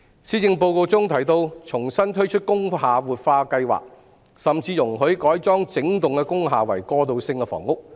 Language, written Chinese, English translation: Cantonese, 施政報告中提到會重新推出工廈活化計劃，甚至容許改裝整幢工廈為過渡性房屋。, The Policy Address mentions re - launching the revitalization scheme for industrial buildings and even allowing conversion of the whole industrial building into transitional housing